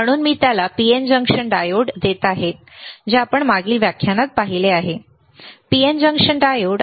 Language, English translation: Marathi, So, I am giving him the PN junction diode which we have seen in the last lecture, the PN junction diode